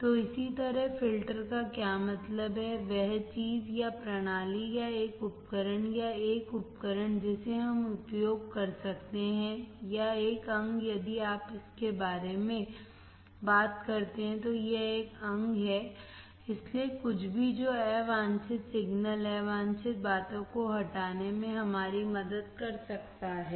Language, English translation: Hindi, So, same way, what does exactly filter means, that the thing or a system or a tool or a device that we can use or an organ if you take talk about it is an organ, so anything that can help us to remove the unwanted signals, unwanted things